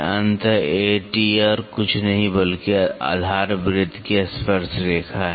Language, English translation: Hindi, So, A T is nothing, but the tangent to base circle